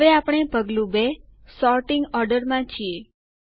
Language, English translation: Gujarati, Now we are in Step 2 Sorting Order